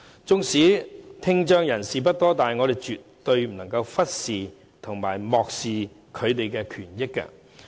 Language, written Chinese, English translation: Cantonese, 即使聽障人士數目不多，但我們絕對不能漠視他們的權益。, Despite the small number of people with hearing impairment we must not ignore their rights